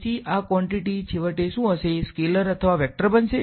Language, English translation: Gujarati, So, this quantity finally, is going to be a scalar or a vector